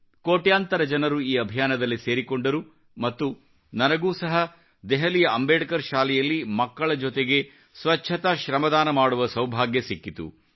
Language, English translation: Kannada, Crores of people got connected with this movement and luckily I also got a chance to participate in the voluntary cleanliness shramdaan with the children of Delhi's Ambedkar School